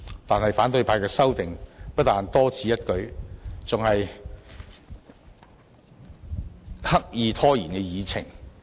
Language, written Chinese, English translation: Cantonese, 但是，反對派的修訂不但多此一舉，而且刻意拖延議程。, Nevertheless the amendments of opposition Members are superfluous with the intent to delay the proceedings